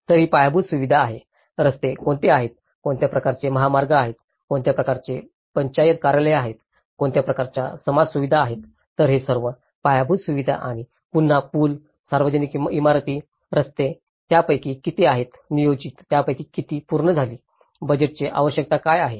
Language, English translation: Marathi, So, this is the infrastructure, what are the roads, what kind of highways, what kind of Panchayat offices, what kind of community facilities, so this is all the infrastructures and again the bridges, public buildings, roads, how many of them are planned, how many of them are completed, what are the budgetary requirements